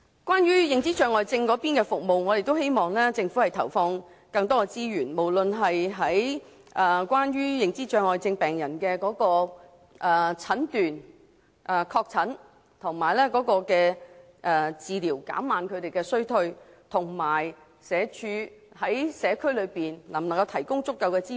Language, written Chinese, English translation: Cantonese, 關於認知障礙症的服務，我們希望政府投放更多資源，提升認知障礙症病人的診斷、確診及治療服務，以助他們延緩衰退；我們亦期望社會福利署能在社區提供足夠的支援。, As regards services for dementia patients we hope that the Government will allocate more sources to enhance the confirmation of diagnosis and treatment of dementia patients in order to defer their deterioration . We also hope that the Social Welfare Department can provide sufficient community support